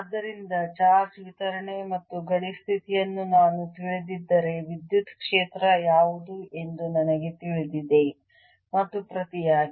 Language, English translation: Kannada, so if i know the charge distribution and the boundary condition, i know what the electric field is and vice versa